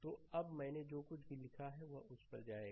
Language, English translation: Hindi, So, now, whatever I have written will go to that; right